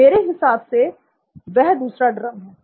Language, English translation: Hindi, I guess that is the second drum